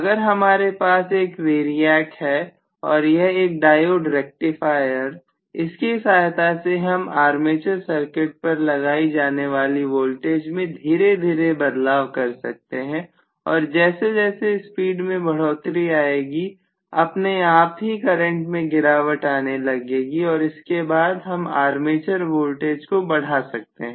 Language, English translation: Hindi, So if I have a variac and if I have a diode rectifier, I should be able to modify the voltage that I am applying to the armature circuit slowly and then as the speed builds up automatically the current would fall then I can increase the armature voltage itself